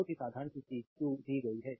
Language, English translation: Hindi, Very simple thing q is given